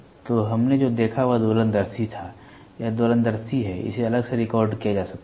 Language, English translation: Hindi, So, what we saw was oscilloscope, this is oscilloscope; display it can be recorded separately